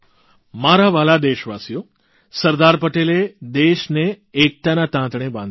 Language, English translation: Gujarati, My dear countrymen, Sardar Patel integrated the nation with the thread of unison